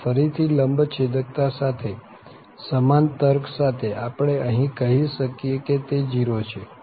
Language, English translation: Gujarati, And again, the same reasoning with orthogonality, we can say that this is 0